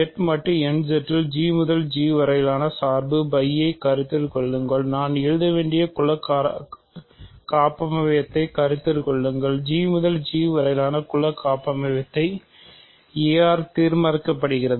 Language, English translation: Tamil, So, for a in Z mod n Z consider the map phi a which is from G to G, consider the group homomorphism I should write consider the group homomorphism from G to G determined by a